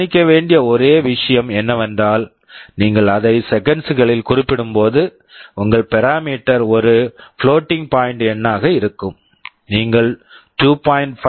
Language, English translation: Tamil, The only point to note is that when you specify it in seconds, your parameter will be a floating point number, you can write 2